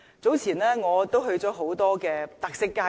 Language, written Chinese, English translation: Cantonese, 早前，我去過很多特色街道。, Earlier I visited many streets with special features